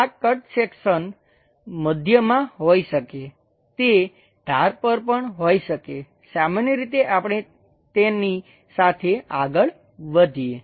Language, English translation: Gujarati, This cut section can be at middle, it can be at the edges also, usually we go ahead with